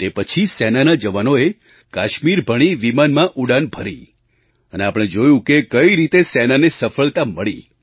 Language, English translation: Gujarati, And immediately after that, our troops flew to Kashmir… we've seen how our Army was successful